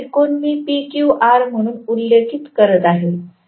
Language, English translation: Marathi, This triangle I am mentioning as PQR